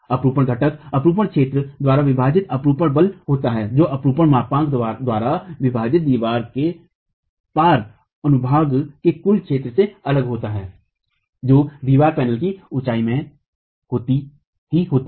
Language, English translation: Hindi, The shear component is the shear force divided by the shear area which is different from the total area of cross section of the wall divided by the shear modulus into the height of the wall panel itself